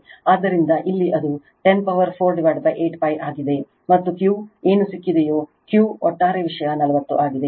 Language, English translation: Kannada, So, here it is 10 to the power 4 upon 8 pi, and Q is equal to whatever you have got right, Q is equal to your over overall thing is 40